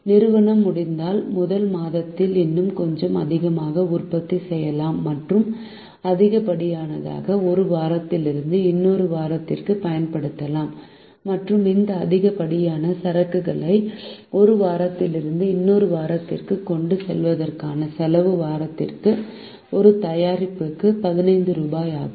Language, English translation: Tamil, the company can also produce a little more in the first month if it is possible and use the axis from one week to another, and the cost of carrying this excess inventory from one week to another is rupees fifteen per product per week